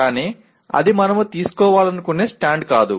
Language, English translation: Telugu, But that is not the stand we would like to take